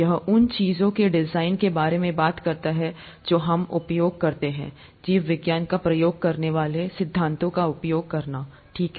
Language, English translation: Hindi, This talks about design of things that we use, using principles that biology uses, okay